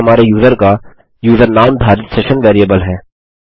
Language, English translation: Hindi, This is our session variable holding our users user name